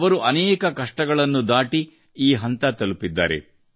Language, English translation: Kannada, She has crossed many difficulties and reached there